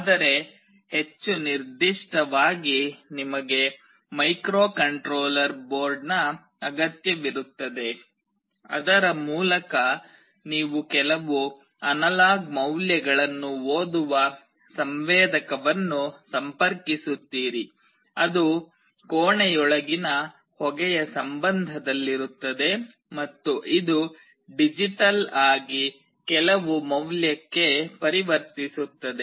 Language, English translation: Kannada, But more specifically you need a microcontroller board through which you will be connecting a sensor that will read some analog values, which is in terms of smoke inside the room, and it will convert digitally to some value